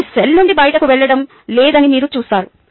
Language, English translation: Telugu, you see that it is not going out of the cell at all